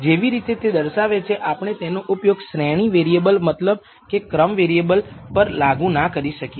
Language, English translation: Gujarati, The way it is defined we can also not apply it to ordinal variables which means ranked variable